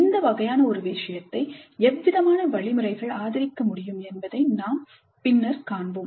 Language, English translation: Tamil, We later see what kind of mechanisms can support this kind of a thing